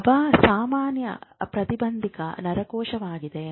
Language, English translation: Kannada, GABA is a general inhibitory neuron